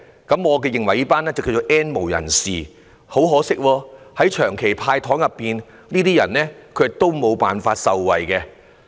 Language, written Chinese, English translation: Cantonese, 他們俗稱為 "N 無人士"，在長期的"派糖"措施中，很可惜他們都無法受惠。, These people whom we called the N - have nots colloquially have not benefited from the Governments candy - handing out measures